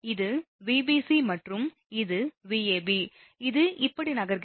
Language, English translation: Tamil, so, this is Vbc, my Vbc and this is Vab, it is moving like this